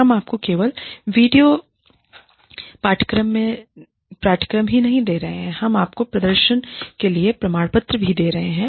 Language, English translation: Hindi, We are not only giving you video courses, we are also giving you certificates, for performing well